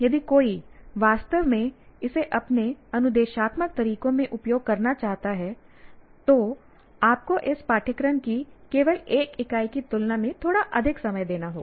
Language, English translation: Hindi, And if one wants to spend to really make use of this into your instructional methods, you have to spend a little more time than merely one unit of this course